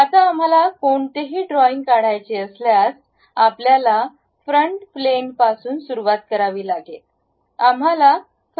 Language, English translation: Marathi, Now, any sketch we would like to draw that we begin it on front plane